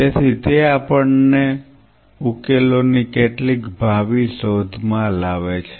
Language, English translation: Gujarati, So, that brings us to some of the futuristic search for solutions